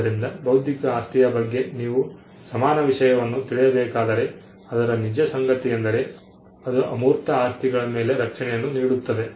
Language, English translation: Kannada, So, the common theme if you have to find a common theme for intellectual property is the fact that it confers property protection on intangibles